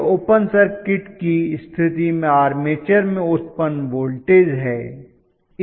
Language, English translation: Hindi, This is the generated voltage in the armature under open circuit condition ofcourse